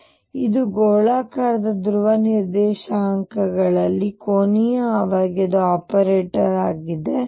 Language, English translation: Kannada, So, this is the angular momentum operator in spherical polar coordinates